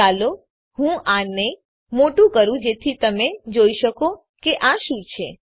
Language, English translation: Gujarati, Let me make it bigger so that you can see what this is